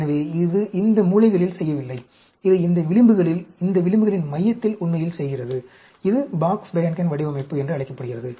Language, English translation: Tamil, So, it is not the corners it is doing, it is doing at these edges, center of these edges actually, that is called the Box Behnken Design